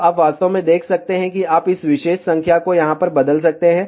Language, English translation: Hindi, So, you can actually see that you just change this particular number over here